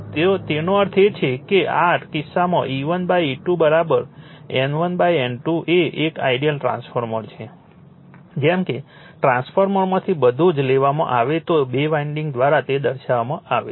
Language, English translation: Gujarati, So that means, in this case your E 1 by E 2 is equal to N 1 by N 2 is an ideal transformer as if everything is taken out from the transformer are represented by two winding